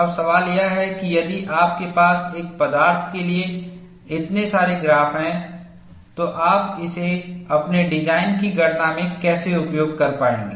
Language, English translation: Hindi, Now, the question is if you have so many graphs for one material, how will you be able to use this, in your design calculation